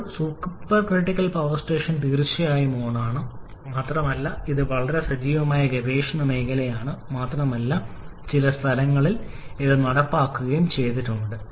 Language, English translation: Malayalam, Still the supercritical power station is definitely on and is a very active area of research and has also been implemented in certain locations